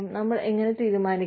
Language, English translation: Malayalam, How do we decide